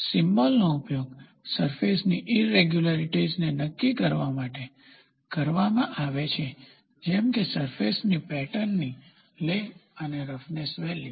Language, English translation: Gujarati, Symbols are used to designate surface irregularities such as, lay of the surface pattern and the roughness value